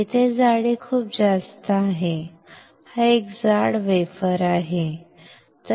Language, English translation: Marathi, Here the thickness is very high is a thick wafer